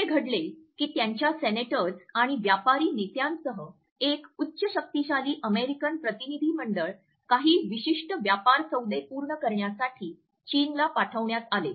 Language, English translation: Marathi, It so, happened that a high powered American delegation which consisted of their senators and business leaders was sent to China to finalize certain business deals